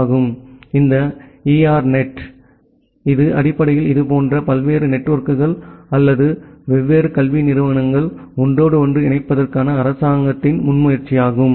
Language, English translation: Tamil, So, this ERNET it is basically government initiative to interconnect different such networks or different educational institute altogether